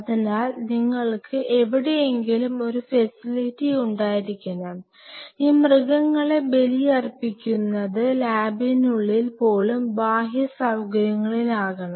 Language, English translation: Malayalam, So, you have to have a facility somewhere and these this animal sacrificing should deep inside the lab even in the outer facility